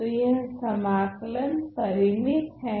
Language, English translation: Hindi, So, this integration is finite ok